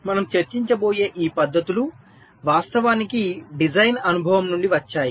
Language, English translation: Telugu, many of these methods that we will be discussing, they actually come out of design experience